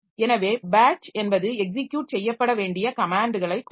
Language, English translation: Tamil, So, batch means in a batch we will give a set of commands to be executed